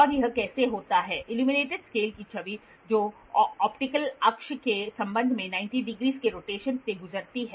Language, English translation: Hindi, And how does it happen, the image of the illuminated scale which has undergone a rotation of 90 degrees with respect to optical axis